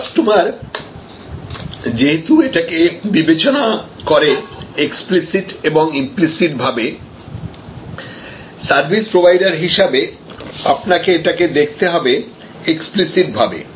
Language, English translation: Bengali, And since the customer evaluates that explicitly and implicitly, you as a service provider must do this very explicitly